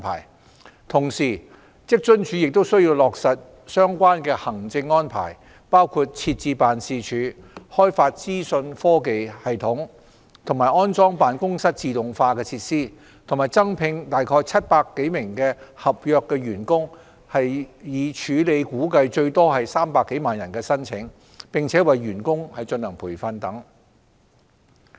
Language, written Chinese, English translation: Cantonese, 與此同時，職津處亦需落實相關的行政安排，包括設置辦事處，開發資訊科技系統，安裝辦公室自動化設施，以及增聘約700多名合約員工，以處理估計最多約300萬人的申請，並為員工進行培訓等。, Concurrently WFAO needs to put in place the relevant administrative arrangements including the setting up of a new office the development of information technology IT systems and installation of office automation facilities and the recruitment of some 700 additional contract staff with training provided to process an anticipated influx of applications of about 3 million applicants at maximum etc